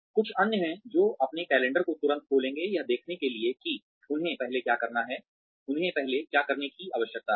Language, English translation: Hindi, There are others, who will come in, and immediately open their calendars, to see what they need to do first